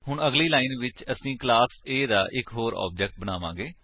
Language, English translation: Punjabi, Next line, we will create one more object of class A